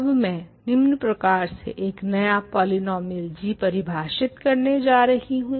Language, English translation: Hindi, Now, I am going to define a new polynomial g as follows